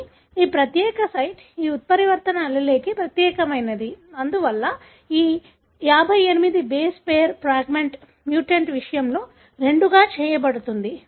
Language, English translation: Telugu, But this particular site is unique to this mutant allele; therefore this 58 base pair fragment will be made into two, in case of mutant